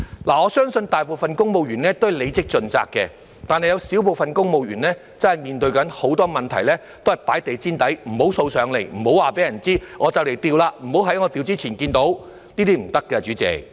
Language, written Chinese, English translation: Cantonese, 我相信大部分公務員都是履職盡責的，但是有少部分公務員真的面對很多問題時，都是放在地毯底，不讓掃出來，不讓告訴別人，"我快調職了，不要在我調職前看見"——這樣是不行的，代理主席。, I believe that most of the civil servants are dutifully doing their job but a minority of them sweep under the carpet the problems that they should be dealing with head on . They would say I am about to be transferred to another post . Do not let me see them before I am transferred